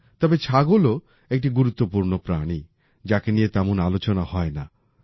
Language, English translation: Bengali, But the goat is also an important animal, which is not discussed much